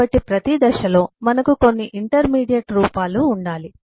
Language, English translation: Telugu, so at every stage we need to have certain intermediate forms